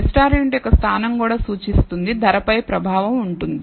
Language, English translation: Telugu, So, location of the restaurant also would indicate, would have a effect on, the price